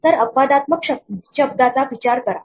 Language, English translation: Marathi, So, think of the word exceptional